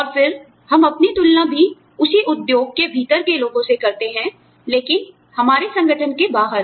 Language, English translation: Hindi, And, then, we also tend to compare ourselves, with people within the same industry, but outside our organization